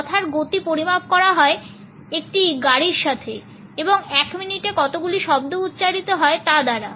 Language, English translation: Bengali, The speed of a speed is measured by the number of words which car is spoken with in a minute